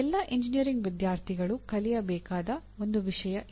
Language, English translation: Kannada, This is one thing that all engineering students should learn